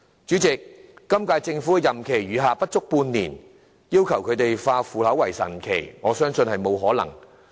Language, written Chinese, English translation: Cantonese, 主席，本屆政府任期餘下不足半年，要求他們化腐朽為神奇，我認為並不可能。, President I think our expecting the current - term Government to make the impossible possible within their remaining term of office of less than half a year is only a pipe dream